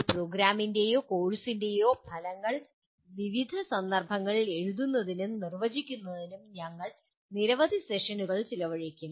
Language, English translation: Malayalam, We will be spending several sessions on writing and defining under various contexts the outcomes of a program or a course